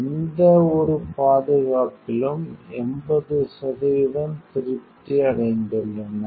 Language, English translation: Tamil, 80 percent is satisfied with any safety